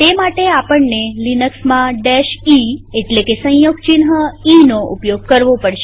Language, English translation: Gujarati, For this in Linux we need to use the e option